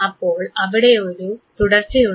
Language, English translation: Malayalam, So, there is a correlation